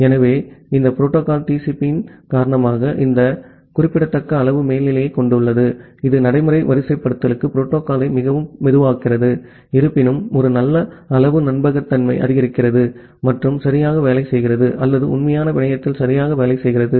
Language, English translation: Tamil, So, because of this protocol the TCP, it has this significant amount of overhead which makes the protocol very slow for practical deployment although it supports a good amount of reliability and works perfectly or works correctly over a real network